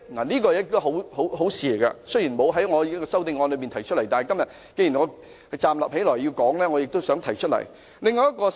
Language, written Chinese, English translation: Cantonese, 這是一件好事，雖然我未有在修正案中提出，但既然我已站起來發言，我也想提出這項建議。, This proposal is desirable . Although it is not incorporated in my amendment I also want to bring it out since I am already standing here to speak